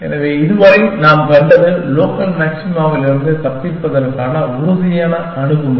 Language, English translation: Tamil, So, what we have seen so far is the deterministic approach to escaping from local maxima